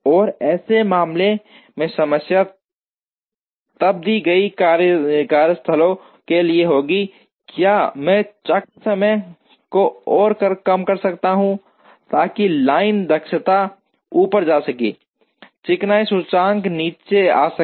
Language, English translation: Hindi, And in such a case the problem will then be for a given number of workstations, can I reduce the cycle time further, so that the line efficiency can go up, the smoothness index can come down